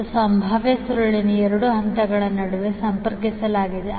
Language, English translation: Kannada, And the potential coil is connected between two phases